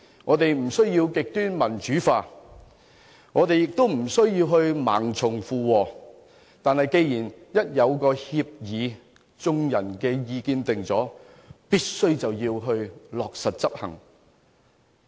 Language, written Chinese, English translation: Cantonese, 我們不需要極端民主化，亦不需要盲從附和。但是，一旦達成協議，按眾人的意見作出了決定後，就必須落實執行。, We need neither extreme democratization nor to follow blindly whatever doctrine that prevails but we must execute the decisions made in accordance with the public opinion